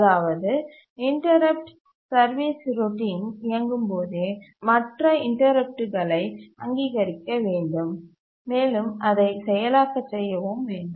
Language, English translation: Tamil, That is when the interrupt service routine itself is running, further interrupts should be recognized and should be able to process it